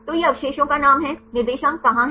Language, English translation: Hindi, So, this is the residue name where are the coordinates